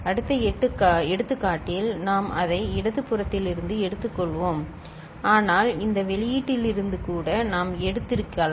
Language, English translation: Tamil, We had in that example we had taken it from the left hand side, but we could have taken from this output also